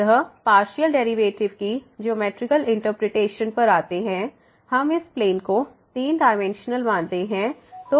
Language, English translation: Hindi, So, coming to Geometrical Interpretation of the Partial Derivative, we consider this plane three dimensional